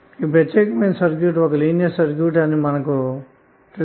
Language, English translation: Telugu, Because you know that this particular circuit is a linear circuit